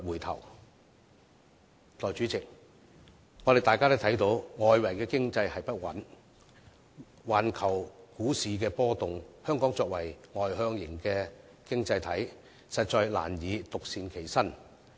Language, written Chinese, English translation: Cantonese, 代理主席，大家也看到，外圍經濟不穩和環球股市波動，香港作為外向型經濟體，實在難以獨善其身。, Deputy President as we can see in the midst of uncertain external economy and volatile global stock market it is impossible for Hong Kong which is an externally - oriented economy to remain unaffected